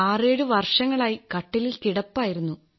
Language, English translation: Malayalam, For 67 years I've been on the cot